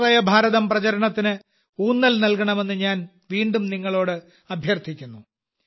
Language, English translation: Malayalam, I again urge you to emphasize on Aatma Nirbhar Bharat campaign